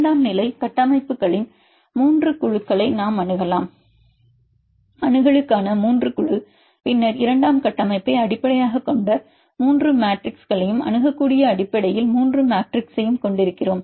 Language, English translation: Tamil, We can make 3 groups of secondary structures, 3 group for accessibility then we have 3 matrix based on secondary structure and 3 matrix based on accessibility